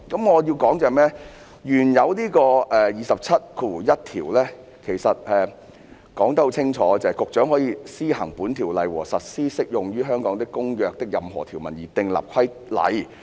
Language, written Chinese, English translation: Cantonese, 我想說的是，原本的第271條說得很清楚："局長可為施行本條例和實施適用於香港的公約的任何條文而訂立規例。, I wish to discuss the original section 271 which clearly states The Secretary may make regulations for the purpose of this Ordinance and for giving effect to any provision of the Convention applicable to Hong Kong